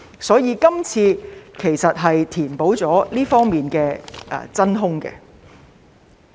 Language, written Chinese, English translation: Cantonese, 所以，今次其實是想填補這方面的真空。, Therefore this proposal is actually put forward to fill the vacuum in this respect